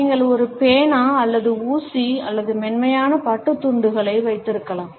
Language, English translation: Tamil, You might be holding a pen or a needle or a piece of soft silk